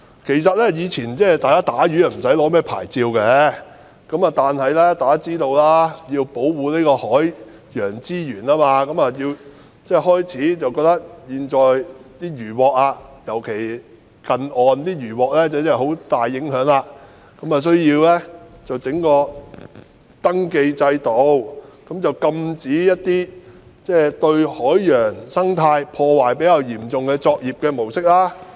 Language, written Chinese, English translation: Cantonese, 其實，以前捕魚無須申領牌照，但大家也知道，由於要保護海洋資源，尤其是在近岸取得的漁穫對海洋有很大的影響，因此便設立登記制度，禁止一些對海洋生態破壞比較嚴重的作業模式。, Actually fishing did not require a licence in the past . But as we all know given the need to conserve marine resources especially as inshore fisheries can have a significant bearing on the marine environment a registration scheme was therefore put in place to ban practices posing relatively serious threats to the marine ecosystem